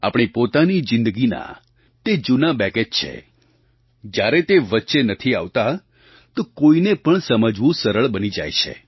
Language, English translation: Gujarati, There are old baggage's of our own lives and when they do not come in the way, it becomes easier to understand others